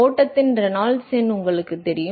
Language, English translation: Tamil, And you know the Reynolds number of the flow